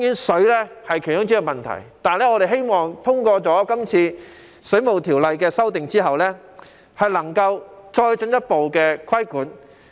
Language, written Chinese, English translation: Cantonese, 水費當然是問題之一，但我們希望在這次對《水務設施規例》的修訂後，當局能夠進一步作出規管。, Water fee is certainly a problem but we hope that after the amendment of the Waterworks Regulations this time around the authorities can proceed with the imposition of regulation